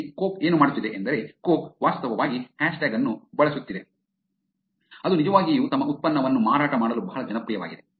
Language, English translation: Kannada, Here what coke is doing is, coke is actually using a hashtag which is very popular otherwise for actually selling their product